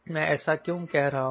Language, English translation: Hindi, what is that why i am saying this